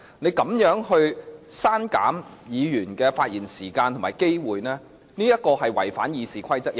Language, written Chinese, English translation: Cantonese, 你如此刪減議員的發言時間和機會，屬違反《議事規則》之舉。, Your ruling has reduced the time and opportunity of Members to speak and thus contravened RoP